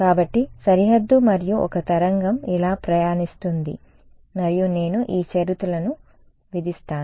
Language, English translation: Telugu, So, boundary and a wave travels like this and I impose the condition this one